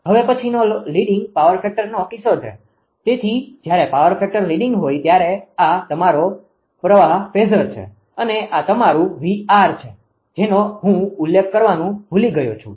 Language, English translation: Gujarati, Then leading power factor case: So, when power factor is leading when power factor is this is your current phasor and this is your this is VR I forgot to mention this